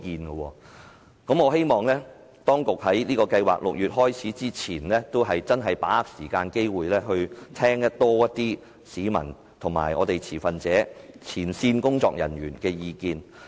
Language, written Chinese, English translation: Cantonese, 因此，我希望當局會在6月展開有關計劃前，把握時間和機會聽取更多市民、持份者和前線工作人員的意見。, I therefore hope that before launching the Scheme in June the authorities would grasp the time and listen more to the views of the public stakeholders and frontline workers